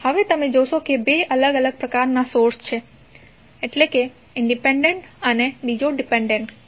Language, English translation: Gujarati, Now, you will see there are two different kinds of sources is independent another is dependent